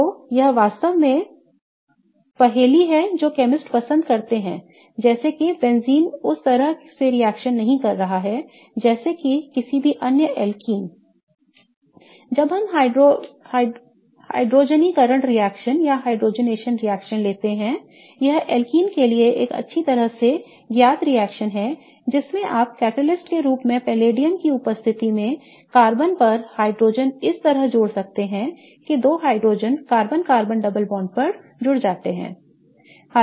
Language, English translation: Hindi, So, this really puzzled chemist like why is benzene not reacting the same way as that of any other alken or for that matter when we take hydrogenation reaction this is a well known reaction for alkenes wherein you can add hydrogen in presence of palladium on carbon as a catalyst such that the two hydrogens get added on the carbon carbon double bond, if we try to do the same reaction with benzene as the starting molecule, hydrogen and palladium on carbon doesn't really react with benzene and you get no reaction